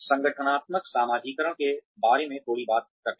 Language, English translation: Hindi, Let us talk a little bit about, organizational socialization